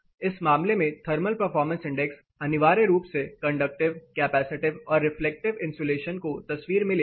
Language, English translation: Hindi, Thermal performance index in this case essentially takes conductive, capacitive as well as reflective insulation in picture